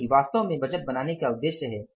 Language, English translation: Hindi, That is actually the purpose of budgeting